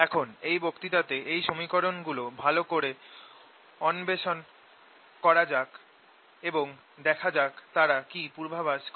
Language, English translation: Bengali, let us now see, explore this equations a better in this lecture and see what they predict